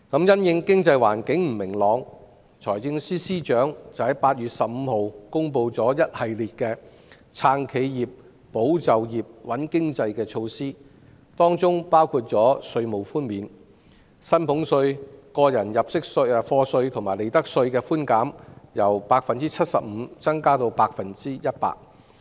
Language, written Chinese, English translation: Cantonese, 因應經濟環境不明朗，財政司司長在8月15日公布一系列"撐企業、保就業、穩經濟"的措施，當中包括稅務寬免：將薪俸稅、個人入息課稅及利得稅的寬減，由 75% 增加至 100%。, In view of the economic uncertainties the Financial Secretary announced a series of measures in 15 August for the purposes of supporting enterprises safeguarding jobs stabilizing the economy . Among them there are tax concessions raising the concession rates for salaries tax tax under PA and profits tax from 75 % to 100 %